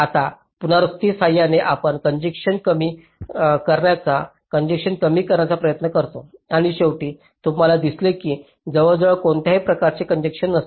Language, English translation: Marathi, now, with iteration we try to reduce congestions, reduce congestion and you will see finally that there is almost no congestion